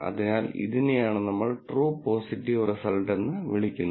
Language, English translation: Malayalam, So, this is what we call as a true positive result